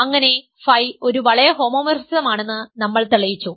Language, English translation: Malayalam, So, let phi be a ring homomorphism